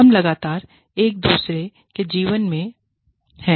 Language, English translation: Hindi, We are constantly in, each other